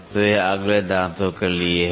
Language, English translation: Hindi, So, this is for the next teeth